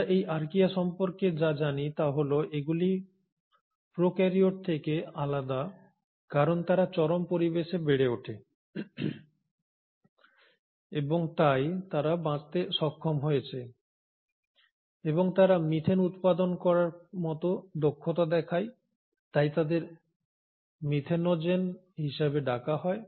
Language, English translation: Bengali, What we know about these Archaea is that they are different from prokaryotes because they grow in extreme environments and hence have managed to survive and they show abilities like ability to produce methane, hence they are called as methanogens